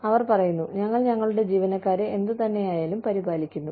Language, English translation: Malayalam, And say, we look after our employees, no matter what